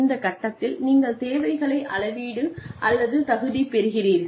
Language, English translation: Tamil, At this point you explain, quantify or qualify requirements